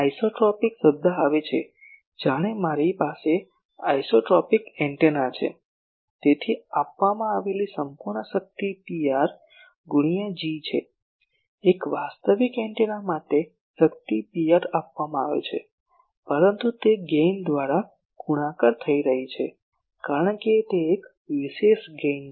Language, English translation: Gujarati, As if that is why this isotropic term comes as if I have an isotropic antenna; so total power given is Pr into G, for a actual antenna the power is given Pr but it is getting multiplied by the gain, because it is a special gain